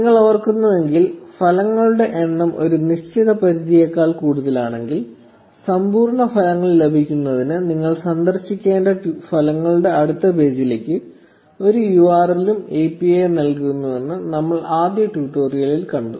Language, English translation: Malayalam, If you remember, we saw in the first tutorial that if the number of results are greater than a certain limit, the API is also returns a URL to the next page of the results which you need to visit in order to get the complete results